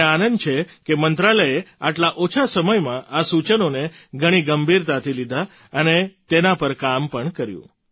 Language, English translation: Gujarati, I am happy that in such a short time span the Ministry took up the suggestions very seriously and has also worked on it